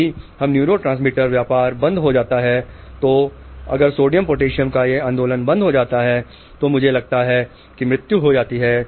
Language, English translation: Hindi, If this neurotransmitter business shuts off, if this movement of sodium potassium shuts down, I think that is death